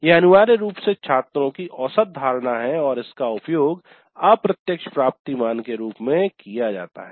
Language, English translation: Hindi, This is essentially average perception of students and that is used as the indirect attainment value